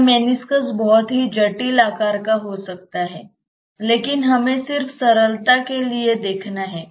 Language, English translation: Hindi, This meniscus can be of a very complicated shape, but let us just for sake of simplicity